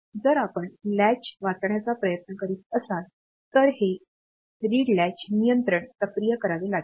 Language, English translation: Marathi, If you are trying to read the latch, then this read latch control has to be activated